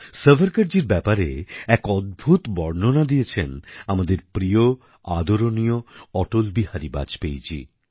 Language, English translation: Bengali, A wonderful account about Savarkarji has been given by our dear honorable Atal Bihari Vajpayee Ji